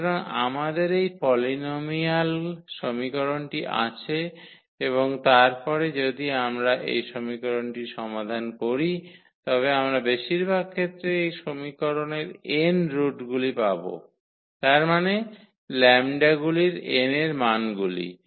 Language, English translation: Bengali, So, we have this polynomial equation and then if we solve this equation we will get at most these n roots of this equation; that means, the n values of the lambdas